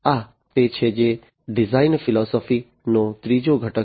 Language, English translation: Gujarati, This is what is the third component of the design philosophy